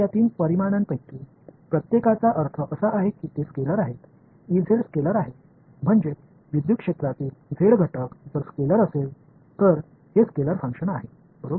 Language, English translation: Marathi, Now, each of these three quantities I mean they are scalars right E z is the scalar if the z component of the electric field, so this is the scalar function right